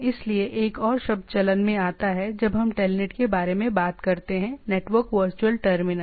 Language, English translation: Hindi, So, there is a another term comes into play while we talk about telnet is the network virtual terminal